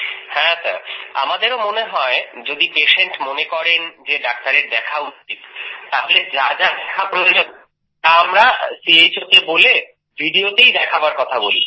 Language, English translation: Bengali, Ji… we also feel that if the patient feels that he should see the doctor, then whatever things we want to see, we, by speaking to CHO, in the video only, we ask to see